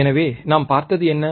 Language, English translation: Tamil, So, what what we have seen